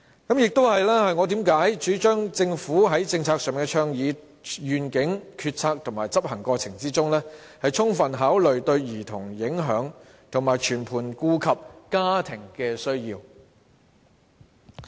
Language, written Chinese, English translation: Cantonese, 這亦是我為何主張政府應在政策的倡議、願景、決策和執行過程中，充分考慮對兒童的影響，並全盤顧及家庭的需要。, That is why I advocate that the Government should thoroughly consider the impact on children and fully take family needs into account in the proposition vision making and implementation of its policies